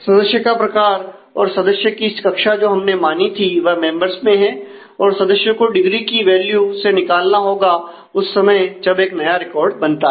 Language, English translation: Hindi, And member type and member class which we have assumed is exist in the in the in the members will have to be derived from the degree value at the time when a new record is created